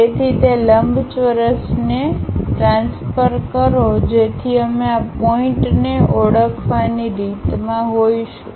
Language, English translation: Gujarati, So, transfer that rectangle so that we will be in a position to identify these points